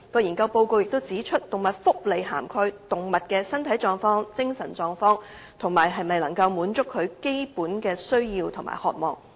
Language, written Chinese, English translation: Cantonese, 研究報告指出，動物福利涵蓋動物的身體狀況、精神狀況，以及能否滿足其基本的需要和渴望。, It is pointed out in the report that animal welfare encompasses animals physical state mental state and ability to fulfil their natural needs and desires